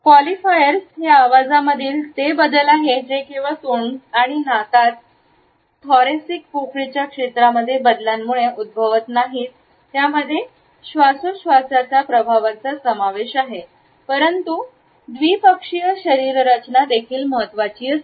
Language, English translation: Marathi, Qualifiers are those modifications of the voice which are caused not only by the changes in the area between the thoracic cavity in the mouth and nose but also bifacial anatomy